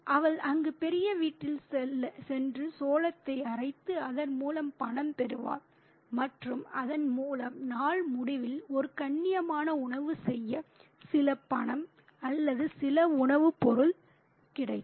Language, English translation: Tamil, So, she is used to going there to grind corn in the big house and thereby get some money or some food stuff to make a decent meal at the end of the day